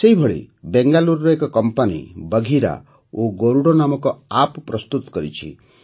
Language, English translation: Odia, Similarly, a Bengaluru company has prepared an app named 'Bagheera' and 'Garuda'